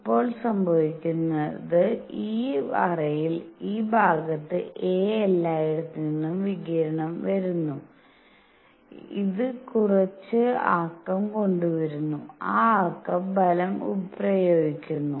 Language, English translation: Malayalam, Now what is happening is that in this cavity; at this area a, radiation is coming from all over and it is bringing in some momentum and that momentum applies force